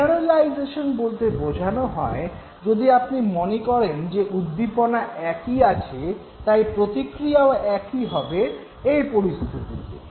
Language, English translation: Bengali, Generalization would mean that you give the same response if you realize that the stimulus is the same